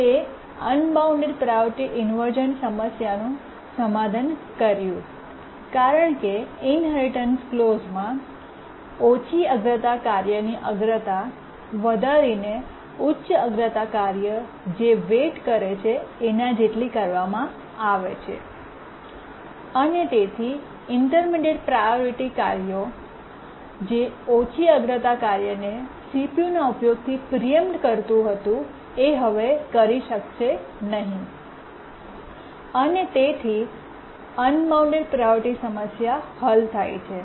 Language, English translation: Gujarati, It solved the unbounded priority inversion problem because in the inheritance clause the priority of the low priority task is raised to the priority of the high task that is waiting, high priority task that is waiting and therefore the intermediate priority tasks that were preempting the low priority task from CPU users cannot do so and therefore the unbounded priority problem is solved